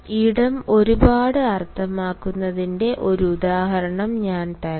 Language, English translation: Malayalam, let me give you an example of how space means a lot